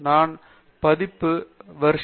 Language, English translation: Tamil, I have the version 3